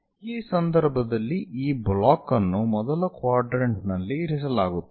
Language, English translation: Kannada, In this case this block is placed in this first quadrant